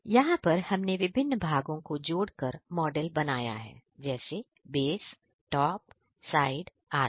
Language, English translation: Hindi, Then we made the model from different parts – base, top, side, etc